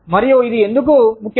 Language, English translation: Telugu, And, why is it important